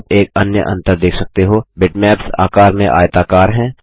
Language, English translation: Hindi, You may have noticed one other difference bitmaps are rectangular in shape